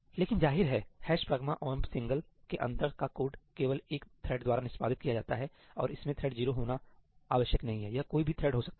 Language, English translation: Hindi, But obviously, the code inside ëhash pragma omp singleí is only executed by one thread and it does not have to be thread 0, it can be any thread